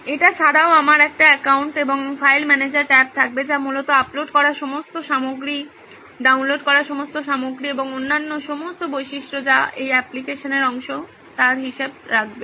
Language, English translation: Bengali, Other than that there will also be a my account and a file manager tab which basically keeps track of all the content that he has uploaded, all the content that he has downloaded and all the other features that are part of this application